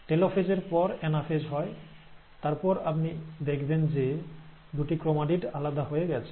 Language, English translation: Bengali, After the metaphase, you have the anaphase taking place, then you find that the two chromatids have separated